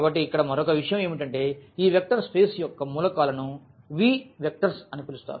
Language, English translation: Telugu, So, that is another point here I would like to mention that the elements of this vector space V will be called vectors